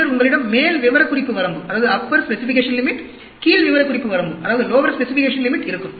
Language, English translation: Tamil, Then, you will also have upper specification limit, lower specification limit